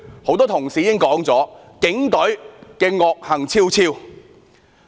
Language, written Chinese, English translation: Cantonese, 很多同事已說了，警隊惡行昭昭。, As remarked by many colleagues the Police are up to their neck in crime